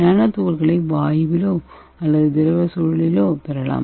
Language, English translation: Tamil, So we can get the nanoparticles in the gaseous or it can be obtained from the liquid environment also